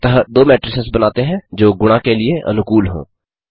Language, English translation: Hindi, Thus let us first create two matrices which are compatible for multiplication